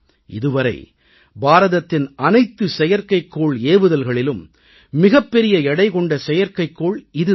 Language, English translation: Tamil, And of all the satellites launched by India, this was the heaviest satellite